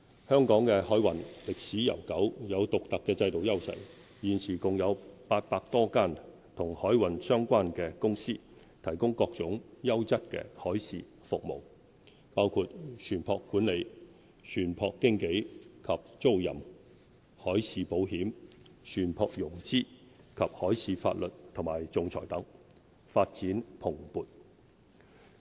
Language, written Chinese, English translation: Cantonese, 香港的海運歷史悠久，有獨特的制度優勢，現時共有800多間與海運相關的公司，提供各種優質海事服務，包括船舶管理、船舶經紀及租賃、海事保險、船舶融資及海事法律和仲裁等，發展蓬勃。, With established maritime heritage and unique institutional advantages Hong Kong has a vibrant maritime cluster of more than 800 companies providing an array of quality maritime services including ship management ship broking and chartering marine insurance ship finance maritime law and arbitration etc